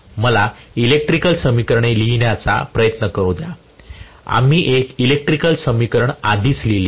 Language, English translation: Marathi, Let me now try to write the electrical equation, these are some of the equations which we already knew, let me try to write the electrical equations, we wrote one of the electrical equation already